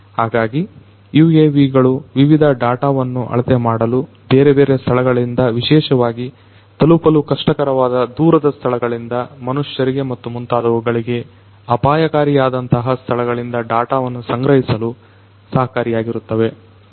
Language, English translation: Kannada, So, UAVs can help in measuring different data, from different locations particularly collecting data from remote locations you know hard to reach locations, locations which could be hazardous for human beings and so on